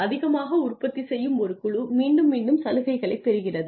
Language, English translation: Tamil, A team that produces too much keeps getting the incentives again and again